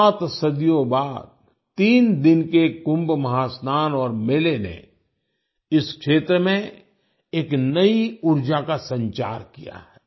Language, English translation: Hindi, Seven centuries later, the threeday Kumbh Mahasnan and the fair have infused a new energy into the region